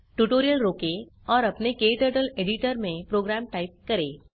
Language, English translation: Hindi, Pause the tutorial and type the program into your KTurtle editor